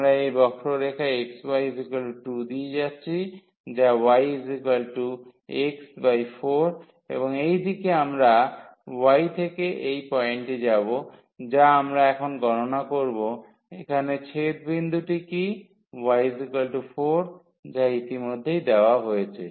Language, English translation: Bengali, We are going from this curve which is x y is equal to 2 to this curve which is y is equal to x by 4, and in this direction we will go from y from this point which we will compute now what is the point of intersection here to y is equal to 4 which is already given